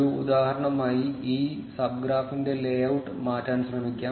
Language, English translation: Malayalam, As an example let us try changing the layout of this sub graph